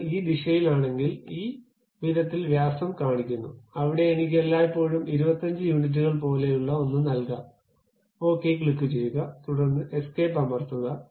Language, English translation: Malayalam, If I come in this direction, it shows diameter in this way where I can always give something like 25 units, and click OK, then press escape